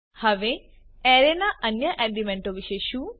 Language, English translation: Gujarati, Now what about the other elements of the array